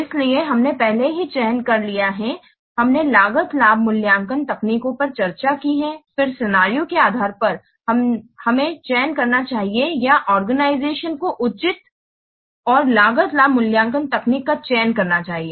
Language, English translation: Hindi, So after so we have already seen that we have already selected, we have discussed the cost benefit evaluation techniques then depending upon the scenario we should select or the organization should select a proper unappropriate cost benefit evaluation